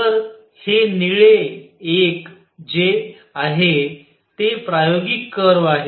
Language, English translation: Marathi, So, this is the experimental curve the blue one